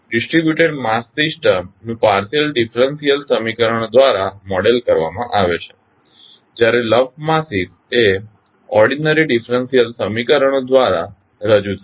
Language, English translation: Gujarati, The distributed mass systems are modeled by partial differential equations whereas the lumped masses are represented by ordinary differential equations